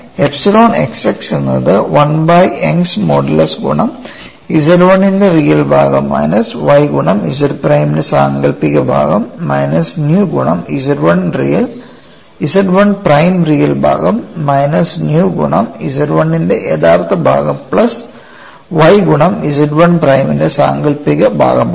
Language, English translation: Malayalam, So, I get epsilon x x equal to 1 minus nu squared divided by Young's modulus multiplied by a real part of Z 1 minus y imaginary part of Z 1 prime minus nu by 1 minus nu real part of Z 1 plus y imaginary part of Z 1 prime, then I also look at what is epsilon y y, it is 1 minus nu square divided by Young's modulus into real part of Z 1 plus y imaginary part of Z 1 prime minus nu by 1 minus nu real part of Z 1 minus y imaginary part of Z 1 prime